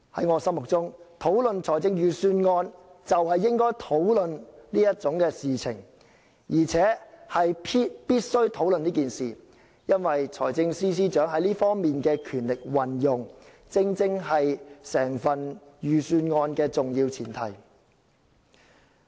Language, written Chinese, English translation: Cantonese, 我認為討論預算案，就是應該討論有關安排，而且必須予以討論，因為財政司司長在這方面可行使的權力，正是整份預算案的重要前提。, In my view to discuss the Budget we should and must discuss the relevant arrangement for the power that can be exercised by the Financial Secretary in this regard is an important premise of the Budget